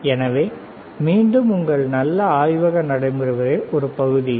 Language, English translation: Tamil, So, again a part of your good laboratory practices, cool, all right